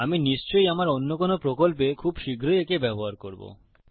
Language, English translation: Bengali, I will be using these most definitely in one of my projects quite soon